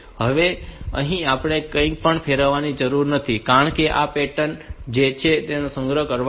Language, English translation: Gujarati, So, now here we do not need to rotate anything because this is the pattern that I want to store